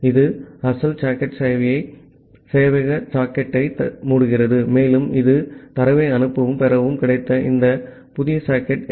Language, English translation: Tamil, It closes the original socket the server socket and it will use this new socket fd that you got to send and receive data